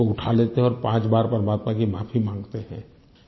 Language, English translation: Hindi, We not only pick it up but also pray five times for God's forgiveness